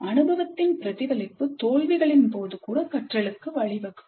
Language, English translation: Tamil, So reflection on the experience could really lead to learning even in the case of failures